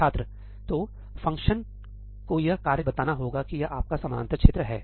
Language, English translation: Hindi, So, the function must be telling the task that this is this is your parallel region